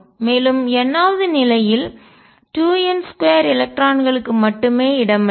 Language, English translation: Tamil, And n th level can accommodate 2 n square electrons